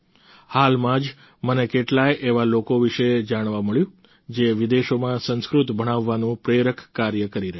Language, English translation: Gujarati, Recently, I got to know about many such people who are engaged in the inspirational work of teaching Sanskrit in foreign lands